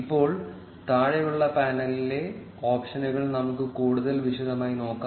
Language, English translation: Malayalam, Now, let us look at the options in the bottom panel in more detail